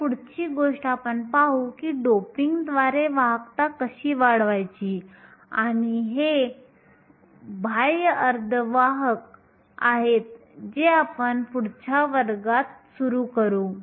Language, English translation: Marathi, So, the next thing we will see is to how to increase the conductivity by doping and these are extrinsic semiconductors which we will start in next class